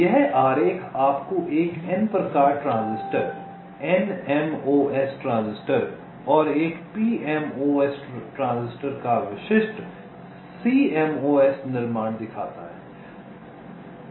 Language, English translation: Hindi, this diagram shows you the typical cmos: fabrication of a of a n type transis, nmos transistor and a pmos transistor